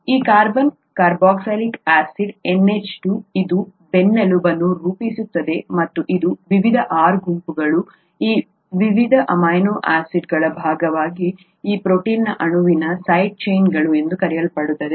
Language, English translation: Kannada, This carbon carboxylic acid NH2 this forms the backbone, and these various R groups form what are called the side chains of this protein molecule here as a part of these various amino acids